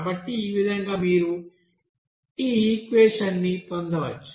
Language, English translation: Telugu, So in this way you can have this equation